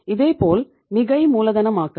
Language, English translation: Tamil, Similarly, over capitalization